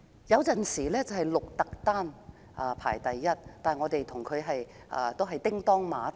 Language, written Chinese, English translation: Cantonese, 雖然有時會是鹿特丹排名第一，但我們與鹿特丹一直"叮噹馬頭"。, Although Rotterdam might sometimes surpass us to become number one Hong Kong had run neck and neck with Rotterdam for at least two decades